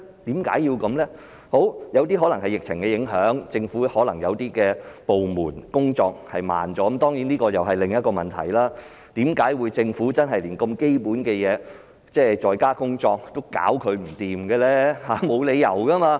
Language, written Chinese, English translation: Cantonese, 有些個案可能受疫情影響，政府一些部門的工作緩慢了——當然這又是另一個問題，為甚麼政府連如此基本的"在家工作"也解決不到，沒理由吧？, Why should the matter be handled this way? . In some cases the delay was caused by a slow work process of some government departments perhaps due to the impact arising from the current epidemic . This is of course another problem and there is no reason why the Government cannot even resolve such a basic problem of making arrangements for civil servants to work from home